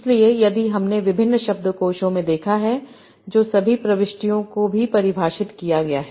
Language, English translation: Hindi, So if you have seen in various dictionaries, that's how the entries are also defined